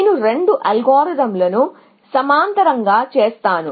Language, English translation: Telugu, I will just do the two algorithms in parallel